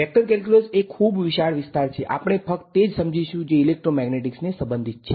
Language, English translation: Gujarati, Vector calculus is a very vast area, we will cover only those parts which are relevant to electromagnetics